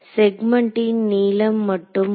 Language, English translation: Tamil, So, just the length of the segment will come